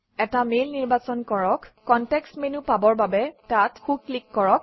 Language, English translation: Assamese, Select an email, right click for the context menu Check all the options in it